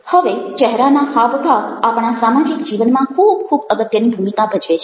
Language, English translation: Gujarati, facial expressions play very, very significant role in our social life's